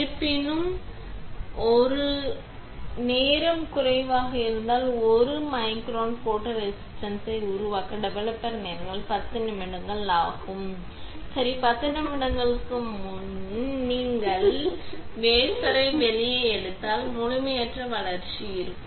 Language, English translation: Tamil, However, if there is a; if the time is less, that is a developer time for developing 1 micron of photoresist is 10 minutes, right and if you take out the wafer before 10 minutes, then there can be incomplete development